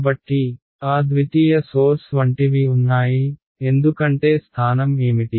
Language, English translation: Telugu, So, there are exactly like those secondary sources; because what is the location